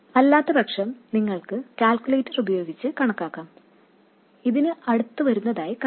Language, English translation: Malayalam, Otherwise you can calculate it using a calculator and see it will come out to be close to this